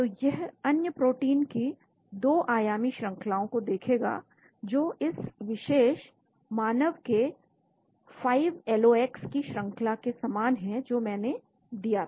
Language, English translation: Hindi, So it will look at 2 dimensional sequence of other proteins which are similar to the sequence of this particular 5LOX human which I had given